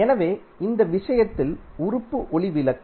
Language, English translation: Tamil, So, in this case the element is light bulb